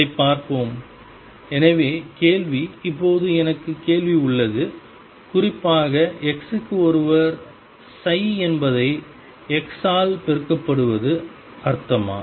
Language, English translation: Tamil, Let us see that; so the question; now I have question, does it make sense in particular for x 1 is multiplying psi by x